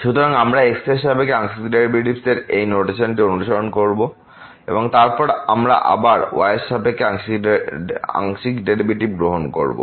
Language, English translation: Bengali, So, we will be following this notation the partial derivative with respect to and then we take once again the partial derivative with respect to